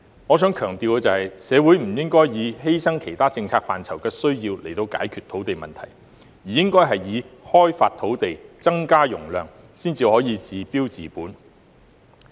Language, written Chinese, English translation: Cantonese, 我想強調，社會不應以犧牲其他政策範疇的需要，作為解決土地問題的方法，而是應該開發土地、增加容量，這樣才可以治標治本。, I would like to emphasize that society should not resolve the land issue by sacrificing the needs in other policy areas . Instead land should be developed to increase capacity so as to get temporary solution and effect permanent cure